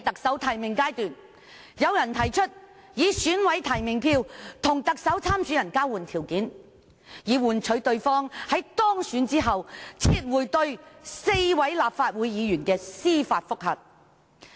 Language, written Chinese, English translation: Cantonese, 在提名階段，有人提出以選舉委員會委員提名票作為交換條件，遊說某特首參選人當選後撤回對4名立法會議員的司法覆核。, During the nomination period someone offered one Chief Executive candidate nomination votes of members of the Election Committee EC in exchange for his consent to withdraw the judicial review against four Legislative Council Members if he was elected